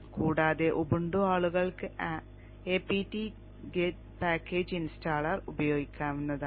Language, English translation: Malayalam, And the case of Ubuntu, people can use the Habtget package installer